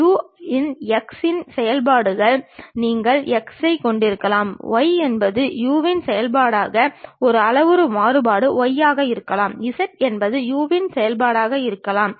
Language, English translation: Tamil, You may be having x as a function of x of u; y might be a parametric variation y as a function of u; z might be function of u